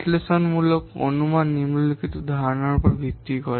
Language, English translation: Bengali, Analytical estimation is based on the following concept